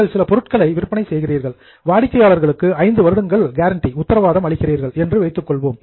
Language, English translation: Tamil, Let us say you are selling some item and you give the customer guarantee for five years